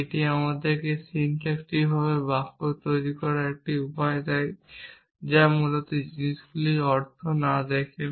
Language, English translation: Bengali, This gives us a way of producing the sentence syntactically without looking at the meanings of things essentially